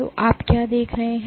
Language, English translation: Hindi, So, what you see